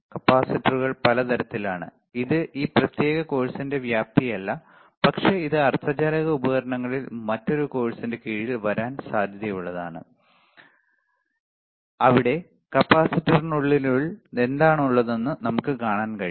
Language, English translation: Malayalam, So, again capacitors are several types again this is not a scope of this particular course, but that can be that can cover under a different course on semiconductor devices, where we can see what is then within the capacitor what are kind of capacitor the kind of diodes